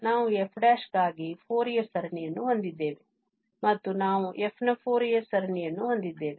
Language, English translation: Kannada, We have the Fourier series for f prime and we have the Fourier series of f